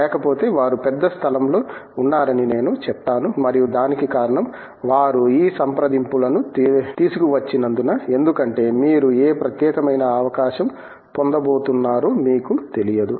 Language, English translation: Telugu, Otherwise, I would say that they have been by and large place and I would say that the reason for that is because they have brought these consults, because you do not know where which particular opening you are going to get